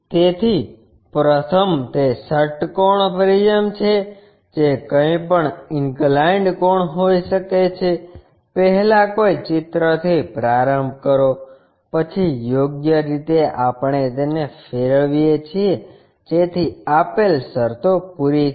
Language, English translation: Gujarati, So, first it is a hexagonal prism whatever might be the inclination angles, first begin with a picture, then suitable rotations we make it, so that the given conditions will be met